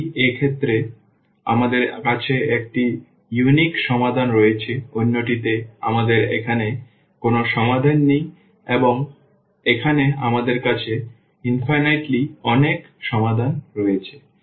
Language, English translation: Bengali, In one case we have the unique solution, in another one we have no solution here we have infinitely many solutions